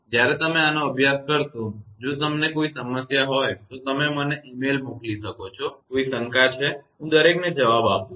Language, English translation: Gujarati, When you will study this; if you have any problem you can send email to me; any doubt is there, I reply to everyone